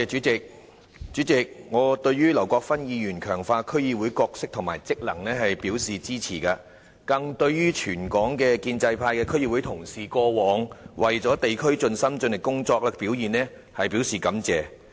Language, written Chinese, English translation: Cantonese, 主席，我對劉國勳議員的議案提出強化區議會的角色和職能，表示支持，更對全港建制派的區議會同事過往為地區盡心盡力工作，表示感謝。, President I support Mr LAU Kwok - fans motion which proposes strengthening the role and functions of District Councils DCs . I also extend my thanks to all the fellow DC members of the pro - establishment camp for their dedication and efforts in district work in Hong Kong in the past